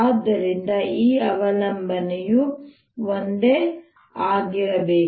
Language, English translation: Kannada, so this dependence has to be the same